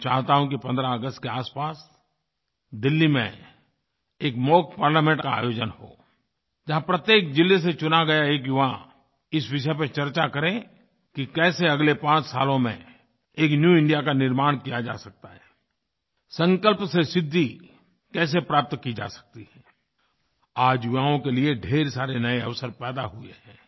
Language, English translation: Hindi, I propose that a mock Parliament be organized around the 15th August in Delhi comprising one young representatives selected from every district of India who would participate and deliberate on how a new India could be formed in the next five years